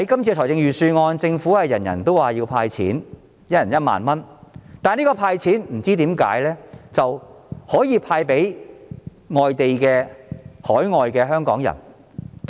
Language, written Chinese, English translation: Cantonese, 政府在預算案中表示，很多人要求政府"派錢"，每人1萬元，但我不明白政府為何要"派錢"給身處海外的香港人。, The Government mentions in the Budget that many people have asked the Government to disburse 10,000 to each person but I do not understand why money should be disbursed to Hong Kong people living overseas